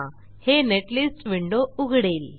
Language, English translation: Marathi, This will open up the Netlist window